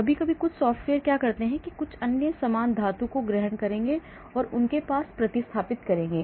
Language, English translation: Hindi, Sometimes some software will assume some other similar group metal and replace it with what they have